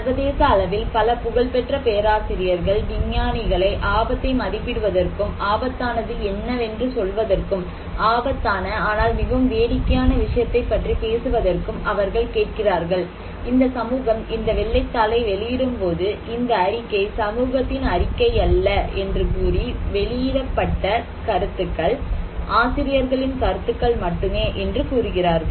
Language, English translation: Tamil, They actually asking many famous acknowledged internationally acclaimed professors, scientists to estimate and tell them what is risky, to talk about a risky but very funny thing is that when these society is publishing this white paper, they are saying then you know disclaimer they are not saying that this report is not a report of the society, the views expressed are those of the authors alone